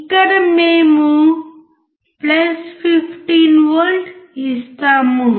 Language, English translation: Telugu, here we give + 15V